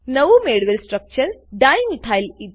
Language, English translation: Gujarati, The new structure obtained is Dimethylether